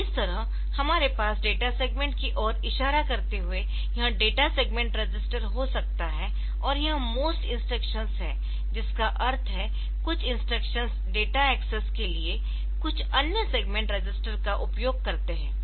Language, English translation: Hindi, So, this way we can have this segment registers, data segment register pointing to the data segment and it is a most instruction means some instructions they use some other segment register for data access